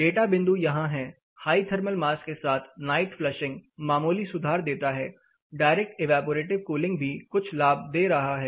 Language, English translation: Hindi, The data points are right here, a high thermal mass with night flushing it gives marginal improvement direct evaporative cooling only slightly you know it is giving you some benefit